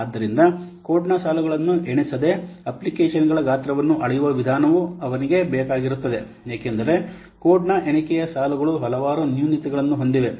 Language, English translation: Kannada, So, he also needed some way of measuring the size of an application without counting the lines of code because the counting lines of code has several dropbacks